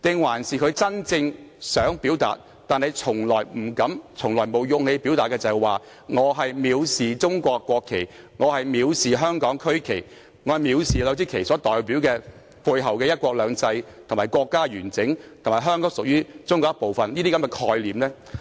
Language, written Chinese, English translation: Cantonese, 還是他真正想表達，但從來不敢亦沒有勇氣表達的是他藐視中國國旗、香港區旗，以及這兩支旗背後所代表的"一國兩制"、國家完整，以及香港屬於中國一部分的概念呢？, Or what he meant to express but never dared and lacked the courage to do so was his contempt of the national flag of China and the regional flag of Hong Kong and the symbolic meaning behind these two flags representing one country two systems the integrity of the country and that Hong Kong is part of China?